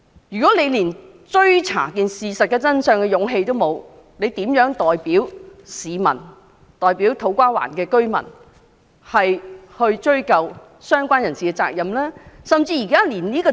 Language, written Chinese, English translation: Cantonese, 如果他們連追查事件真相的勇氣也沒有，又如何代表市民、土瓜灣的居民追究相關人士的責任呢？, If they do not even have the courage to seek the truth how can they hold the parties concerned responsible on behalf of the public and residents of To Kwa Wan?